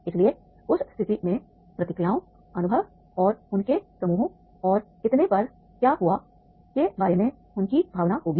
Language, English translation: Hindi, So, therefore in that case there will be the reactions to the experience and their feelings about what happened their groups and so on